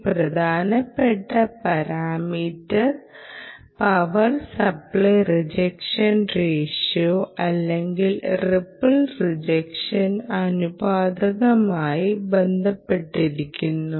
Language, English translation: Malayalam, look out for this important parameter because it is linked to the power supply rejection ratio, or ripple rejection ratio as well, ah